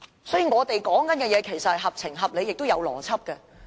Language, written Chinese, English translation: Cantonese, 所以，我們說的其實合情合理，也合符邏輯。, So what we say is actually well reasoned and justified and is logical